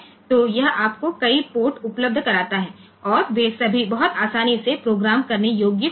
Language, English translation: Hindi, So, it makes you get a number of ports available and, they are very easily programmable